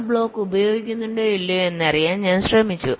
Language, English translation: Malayalam, i tried to find out whether or not that block is being used